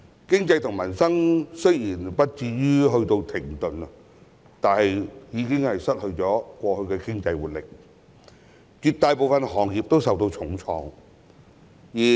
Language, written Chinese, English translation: Cantonese, 經濟和民生雖不至於停頓，但卻失去了過去的經濟活力，絕大部分行業都受重創。, Although the economy and peoples livelihood did not come to a halt the past economic vitality has been lost and most industries have been hit hard